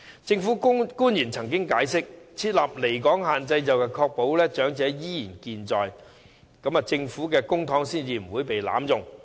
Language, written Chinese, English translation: Cantonese, 政府官員曾經解釋，設立離港限制可以確保長者依然健在，以及公帑不會被濫用。, Government officials once explained that setting a limit on absence from Hong Kong could ensure that elderly people were still alive and prevent the misuse of our public money